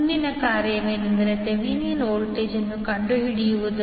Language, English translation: Kannada, Next task is, to find out the Thevenin voltage